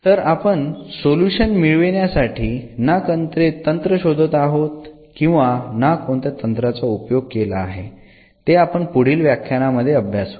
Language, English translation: Marathi, So, we are not finding the techniques or using any techniques to find the solution that will be discussed in the next lecture